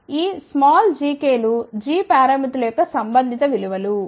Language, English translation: Telugu, So, this small g ks are corresponding values of g parameters